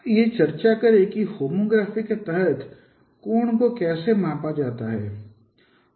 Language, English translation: Hindi, Let us discuss how an angle could be measured under homography